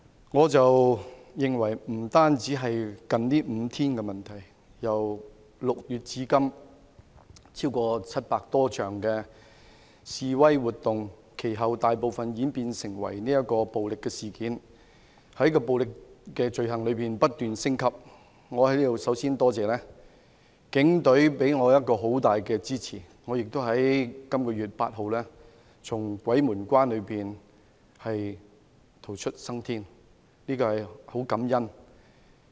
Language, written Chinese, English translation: Cantonese, 我認為這不僅是近5天的問題，由6月至今，有超過700多場的示威活動，其後大部分演變為暴力事件，而暴力罪行亦不斷升級，我在此首先感謝警隊給予我很大的支持，我亦在本月8日從鬼門關逃出生天，對此我很感恩。, I think this is not merely about the past five days as over 700 protests have been held since June and a majority of these protests deteriorated into violent incidents in which the violence involved in offences has been escalating . I would like to take this opportunity to express my gratitude to and strong support for the Police Force . I am thankful that I escaped from death on the 8 day of this month